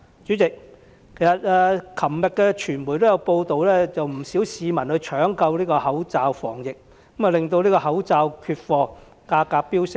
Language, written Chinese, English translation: Cantonese, 主席，昨天傳媒報道不少市民搶購口罩防疫，令口罩缺貨，價格飆升。, President yesterday there were media reports about panic buying of masks for disease prevention by many members of the public resulting in a shortage of masks and a sharp leap in prices